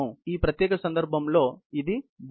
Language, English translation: Telugu, In this particular case, this is the body